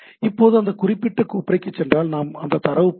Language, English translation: Tamil, So, now, if we go to that particular folder then we can have those data displayed